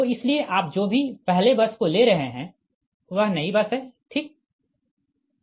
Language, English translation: Hindi, so any bus, you are considering its a new bus first, right